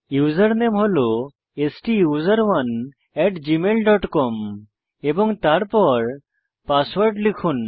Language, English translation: Bengali, Now enter the user name STUSERONE at gmail dot com and then the password